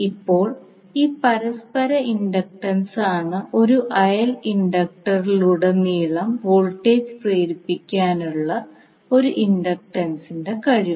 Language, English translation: Malayalam, Now this mutual inductance is the ability of one inductor to induce voltage across a neighbouring inductor